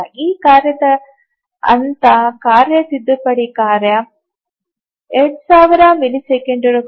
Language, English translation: Kannada, So, the phase of this task, the task correction task is 2,000 milliseconds